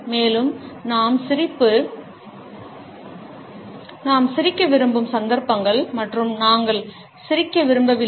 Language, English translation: Tamil, Also, the occasions on which we would like to smile and we would not like to smile